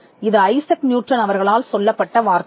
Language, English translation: Tamil, Now, this is a code that is attributed to Isaac Newton